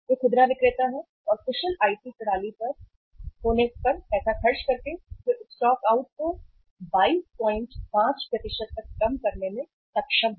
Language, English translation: Hindi, They are the retailers and by spending money on having the efficient IT systems they have been able to reduce the stockouts to the extent of 22